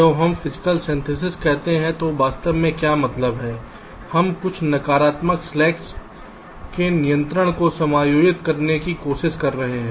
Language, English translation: Hindi, that when we say physical synthesis what we actually mean is we are trying to adjust, a control some of the negative slacks